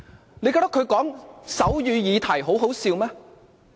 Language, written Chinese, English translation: Cantonese, 他們覺得他談論手語議題很可笑嗎？, Do they think it is laughable to discuss the issue of sign language?